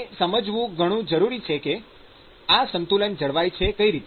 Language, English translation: Gujarati, So this is very important to understand how this balance comes about